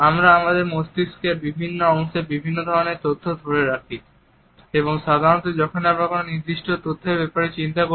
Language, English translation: Bengali, We hold different pieces of information in different parts of our brain and usually when we are thinking about a particular top of information, our eyes will go in one particular direction